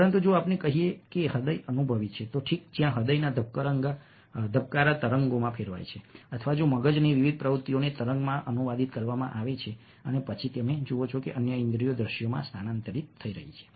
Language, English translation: Gujarati, but if, let us say, that heart is experienced, ok, ah, where, ah, the heart beats are translated into waves, or if the various activities of the brain are translated into waves, then you see that, ah, other senses are getting transferred into visuals